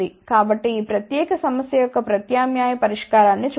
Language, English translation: Telugu, So, let us look at the alternate solution of this particular problem